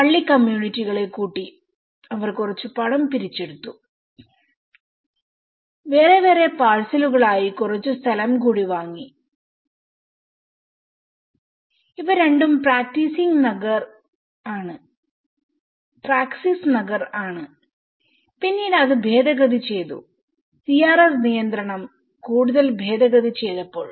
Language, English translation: Malayalam, That is there the church have gathered the communities and they put some money forward and they bought some more land in different parcels and these two are Praxis Nagar which were later amended when the CRZ regulation has been further amended